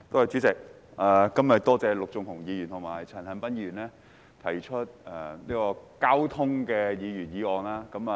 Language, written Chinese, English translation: Cantonese, 主席，多謝陸頌雄議員和陳恒鑌議員今天分別提出有關交通的議案和修正案。, President I would like to thank Mr LUK Chung - hung and Mr CHAN Han - pan for their respective motion and amendment on traffic today